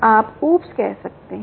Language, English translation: Hindi, you can say: oops, ok